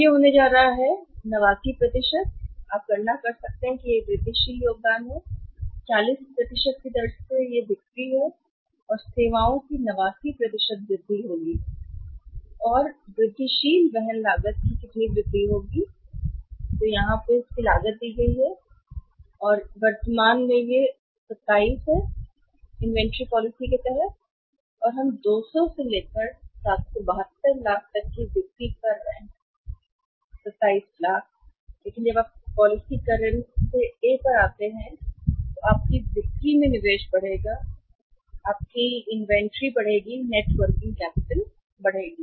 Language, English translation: Hindi, It is going to be how much it is going to be 89 % you can calculate it is incremental contribution at the rate of 40 persons it will be 89 % of the increase sales and services and how much is the incremental carrying cost carrying cost is given here so it is 27 when we are having the current inventory policy and we are losing the sales of 200 and 772 lakhs to the carrying cost is lowest 27 lakhs but when you move from the policy current to A your sales will increase investment inventory will increase net working capital will increase